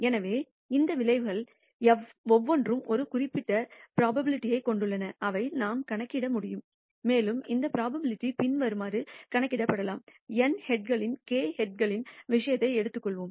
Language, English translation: Tamil, So, clearly each of these outcomes have a certain probability which we can compute and this probability can be computed as follows: let us take the case of k heads in n tosses